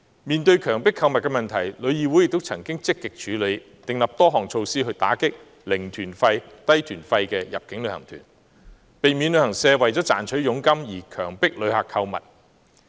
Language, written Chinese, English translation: Cantonese, 面對強迫購物的問題，旅議會曾積極處理，並訂立多項措施打擊"零團費"及"低團費"的入境旅行團，避免旅行社為賺取佣金而強迫旅客購物。, In tackling coerced shopping TIC has taken active steps and put in place a number of measures to combat zero - fare or low - fare inbound tours to prevent travel agents from coercing visitors into shopping in order to get commissions